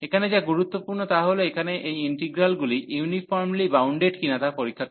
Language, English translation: Bengali, So, what is important here the important is to check that these integrals here, they are uniformly bounded